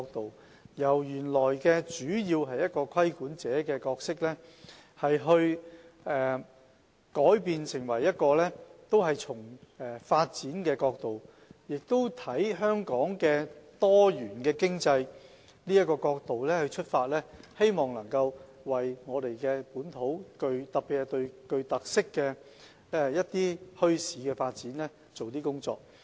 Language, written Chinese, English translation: Cantonese, 當局本來主要從規管者的角度出發，已經改為從發展角度及從香港多元經濟的角度出發，希望能夠為本土發展，特別是具特色墟市的發展做一些工作。, The authorities have changed from the original perspective of a regulator to a perspective relating to development and Hong Kongs diversified economy hoping to do some work to facilitate local development especially the development of bazaars with characteristics